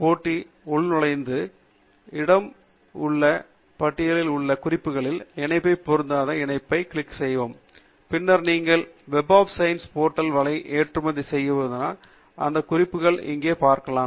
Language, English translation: Tamil, com portal in a separate tab, and then click on the link unfiled, under all my references in the left hand side bar, and then you should you seeing the same set of references here as you have exported from the Web of Science portal